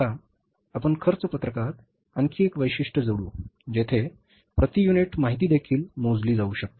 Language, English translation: Marathi, Now we will add one more feature in the cost sheet where per unit information can also be calculated